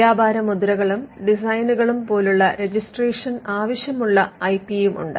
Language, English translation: Malayalam, There are others which require registration like trademarks and designs